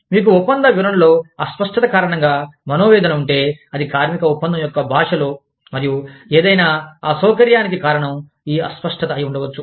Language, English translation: Telugu, You have, contract interpretation grievance, deals with ambiguity, in the language of the labor contract, and any inconvenience caused, due to this ambiguity